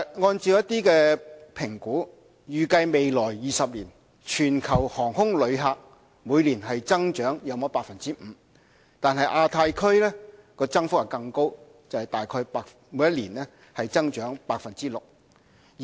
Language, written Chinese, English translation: Cantonese, 按照評估，預計未來20年，全球航空旅客每年增長約 5%， 亞太區增幅更高，大概每年增長 6%。, According to an assessment global aviation passengers are expected to grow at 5 % per annum over the next 20 years while passengers in the Asia Pacific region are expected to grow at an even faster rate about 6 % per annum